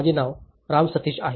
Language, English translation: Marathi, My name is Ram Sateesh